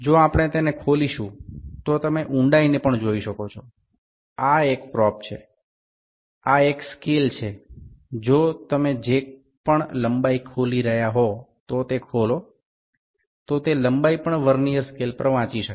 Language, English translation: Gujarati, This is a probe, this is a scale, if you open it whatever the length it is getting opened that is the length that length can also be read on the Vernier scale